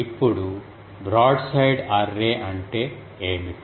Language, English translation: Telugu, Now what is a broadside array